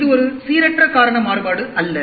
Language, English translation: Tamil, It is not a random cause variation